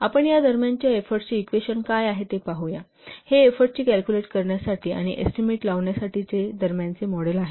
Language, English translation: Marathi, So let's see what will be the equation for this intermediate effort, intermediate model for calculating or estimating effort